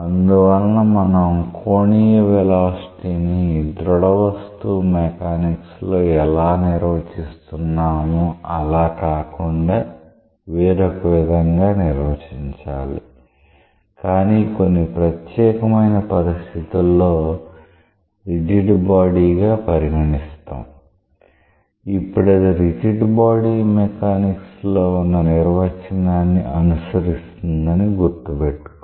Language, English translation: Telugu, And therefore, we have to come to our angular velocity definition with a compromise; not exactly same as we do for rigid body mechanics, but keeping in mind that in the special case that it becomes a rigid body, it should follow the rigid body mechanics definition of angular velocity